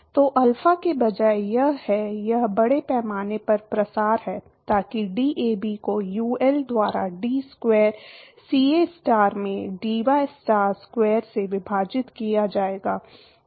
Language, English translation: Hindi, So, instead of alpha it is, it is mass diffusivity so that will be DAB divided by UL into d square CAstar divided by dystar square